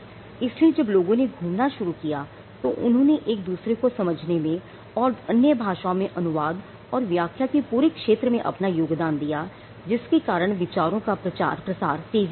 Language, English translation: Hindi, So, when people started moving that also contributed to them understanding each other and the entire the entire field of translation or interpreting other languages came up which also led to the quick spread of ideas